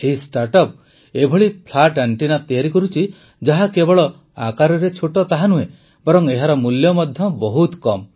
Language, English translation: Odia, This startup is making such flat antennas which will not only be small, but their cost will also be very low